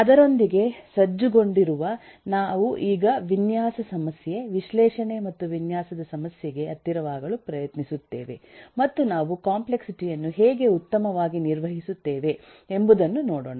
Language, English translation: Kannada, now we try to get closer to the design problem, the analysis and design problem, and look into how we handle the complexity uh better